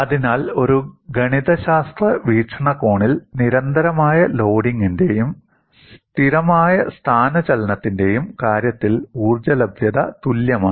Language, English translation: Malayalam, So, from a mathematical perspective, the energy availability in the case of both constant loading and constant displacement is same